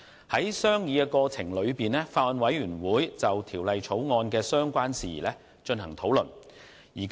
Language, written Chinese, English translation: Cantonese, 在商議過程中，法案委員會就《條例草案》的相關事宜進行討論。, The Bills Committee has discussed matters relating to the Bill in the course of deliberations